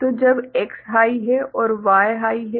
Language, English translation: Hindi, So, when X is high and Y is high